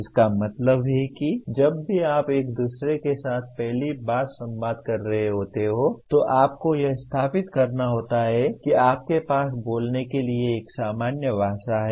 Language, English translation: Hindi, That means whenever you are communicating with each other first thing that you have to establish that you have a common language to speak